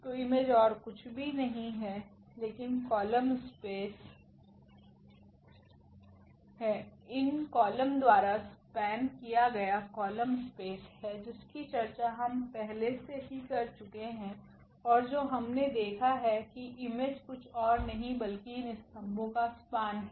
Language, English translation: Hindi, So, the image is nothing but image is nothing but the column the column space the column spaces exactly the span of these columns that is the column space we have already discussed and what we have observed that the image is nothing but the span of these columns